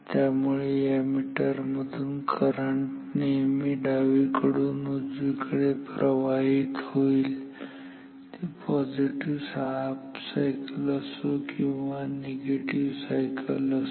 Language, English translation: Marathi, So, current always flows from left to right in this through this meter no matter whether its the positive cycle or negative cycle